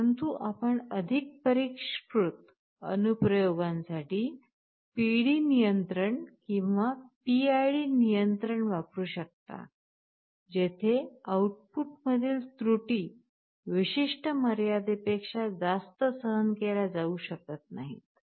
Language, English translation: Marathi, But you can have PD control or PID control in more sophisticated applications, where errors in the output cannot be tolerated beyond the certain limit